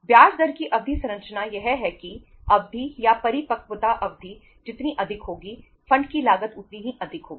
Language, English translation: Hindi, That the term structure of interest rate is that longer the duration or the longer the maturity period, higher will be the cost of the fund